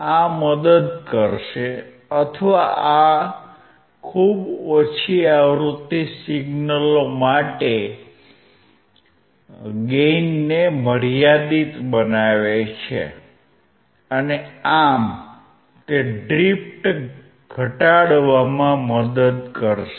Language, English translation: Gujarati, This will help or this makes the gain for very low frequency signals finite and thus it will help to reduce the drift